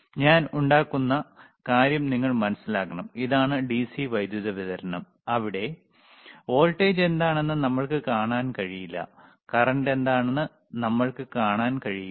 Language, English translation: Malayalam, So, you have to understand this thing, the point that I am making, is thisthis is the DC power supply where we cannot see what is the voltage is, we cannot see what is the current rightis